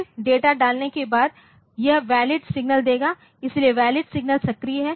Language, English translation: Hindi, Then after putting the data this it will put the valid signal so, valid signal is activated